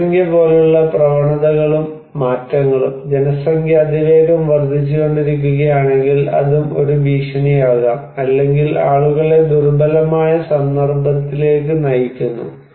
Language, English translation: Malayalam, And trends and changes like the population, if the population is increasing rapidly, then also it could be a threat or putting people into vulnerable context